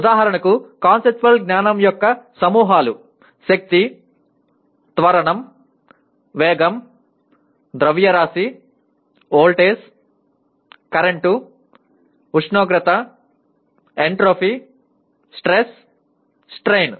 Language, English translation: Telugu, For example samples of conceptual knowledge Force, acceleration, velocity, mass, voltage, current, temperature, entropy, stress, strain